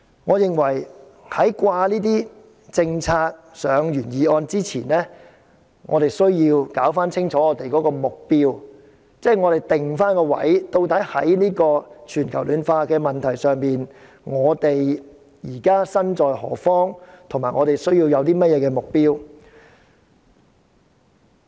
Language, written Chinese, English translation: Cantonese, 我認為把政策掛上原議案前，我們需要釐清目標及定位，在全球暖化問題上，我們身在何方，以及需要怎樣的目標。, I reckon that before the policy - related recommendations are hung onto the original motion we need to clarify our target and position . On the issue of global warming where are we and what target do we need?